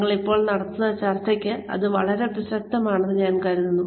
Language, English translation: Malayalam, I just think that, it is very relevant to the discussion, that we are having right now